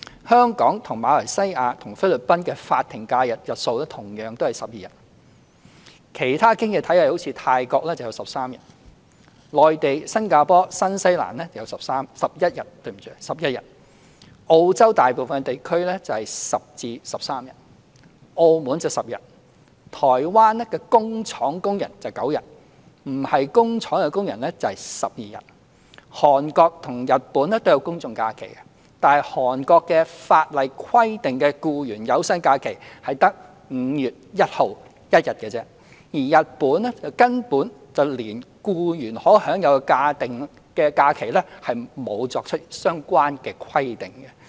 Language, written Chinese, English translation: Cantonese, 香港、馬來西亞和菲律賓的法定假日的日數同樣是12天；其他經濟體系例如泰國有13天；內地、新加坡和新西蘭有11天；澳洲大部分地區有10天至13天；澳門有10天；台灣的工廠工人有9天，非工廠工人有12天；韓國和日本都有公眾假期，但韓國法例規定的僱員有薪假期只有5月1日1天，而日本根本連僱員可享有的法定假日都沒有作出相關規定。, The number of statutory holidays designated in Hong Kong Malaysia and the Philippines is 12 days; as for other economies 13 days in Thailand; 11 in Mainland China Singapore and New Zealand; 10 to 13 days in most parts of Australia; 10 days in Macao; and 9 days for factory workers and 12 days for non - factory workers in Taiwan . There are general holidays in Korea and Japan but the laws in Korea provide that employees are entitled to only one paid holiday ie . 1 May; and in Japan there is no provision for any entitlement to statutory holidays by employees